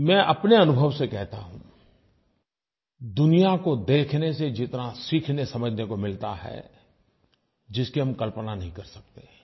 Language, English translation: Hindi, I can tell you from my experience of going around the world, that the amount we can learn by seeing the world is something we cannot even imagine